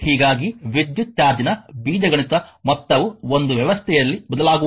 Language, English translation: Kannada, Thus, the algebraic sum of the electric charge is a system does not change